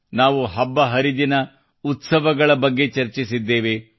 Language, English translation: Kannada, We also discussed other festivals and festivities